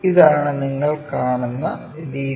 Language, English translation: Malayalam, This is the way you see